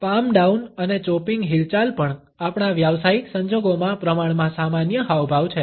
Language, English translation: Gujarati, Palm down and chopping movements are also relatively common gestures in our professional circumstances